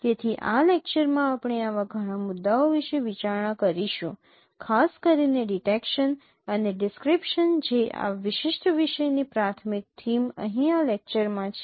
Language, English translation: Gujarati, So, in this lecture we will be considering several such issues particularly the detection and description that is the primary theme of this particular topic here in this lecture